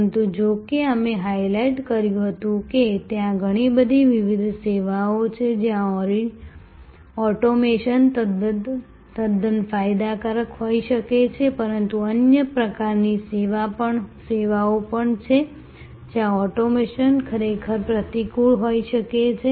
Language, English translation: Gujarati, But, we had highlighted however, that there are number of different services, where automation can be quite beneficial, but there are number of other types of services, where automation may actually be counterproductive